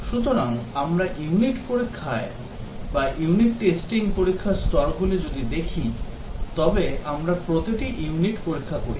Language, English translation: Bengali, So, if we look at the test levels in unit testing, we test each unit